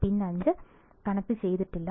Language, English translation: Malayalam, Pin 5 is not connected